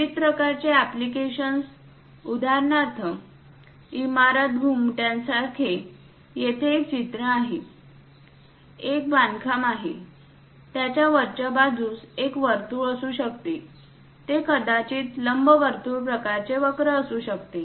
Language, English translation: Marathi, The variety of applications, for example, like building domes; here there is a picture, a construction, top of that it might be circle, it might be elliptical kind of curve